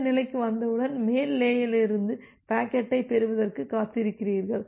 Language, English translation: Tamil, Once you are in this state in that case, you are waiting for receiving the packet from the upper layer